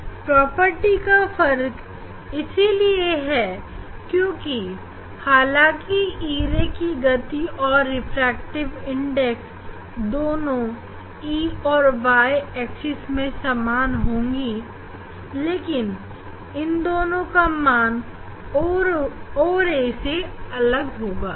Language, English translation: Hindi, For e ray that is different from the o ray, the property is different from the e ray because the velocity refractive index; for e ray are same in x axis and y axis, but that refractive index or velocity that is different from that of the o ray, all